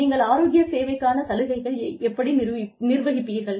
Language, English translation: Tamil, How do you manage healthcare benefits